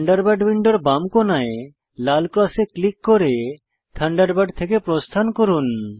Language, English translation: Bengali, Lets exit Thunderbird, by clicking on the red cross in the left corner of the Thunderbird window